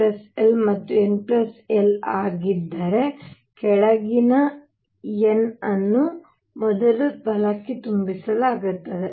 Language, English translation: Kannada, And if n plus l is the same then lower n is filled first right